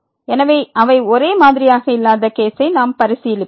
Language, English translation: Tamil, So, we will consider the case when they are not same